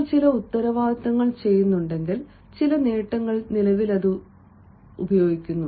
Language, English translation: Malayalam, and if you are doing some responsibilities, ah, some accomplishments, presently, use it in the present